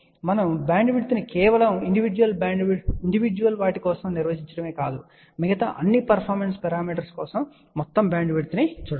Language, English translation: Telugu, But it is not that we define bandwidth for just individual thing, we have to look at the overall bandwidth for all the other performance parameter